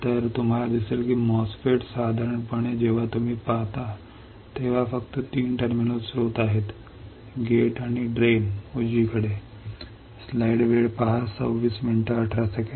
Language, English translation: Marathi, So, you will see that the MOSFET generally when you see there are only three terminals source, gate and drain right